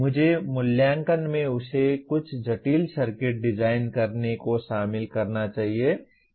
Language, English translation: Hindi, I must, assessment should include making him design some complex circuit